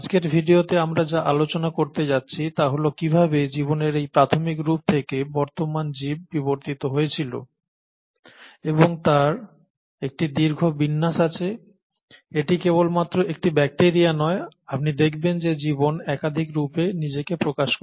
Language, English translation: Bengali, In today’s video, what we’re going to talk about is that how from this early form of life, the life evolved to the present day organisms and there’s a huge array of them; it’s not just one just bacteria, you see that the life expresses itself in multiple forms